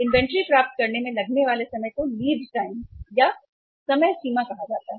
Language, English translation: Hindi, The time taken to receive the inventory is called as the lead time